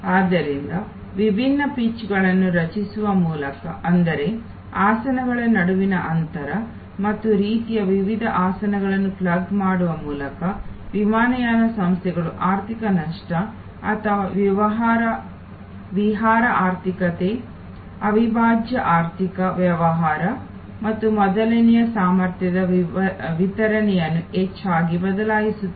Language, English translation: Kannada, So, by creating different pitches; that means, the distance between seats and by plugging in different kinds of seats, airlines often vary the capacity distribution among economic loss or excursion economy, prime economy business and first